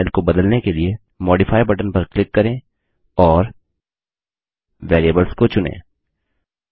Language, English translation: Hindi, To modify the font style, click on the Modify button and choose the category Variables